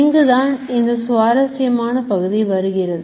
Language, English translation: Tamil, Now comes the interesting part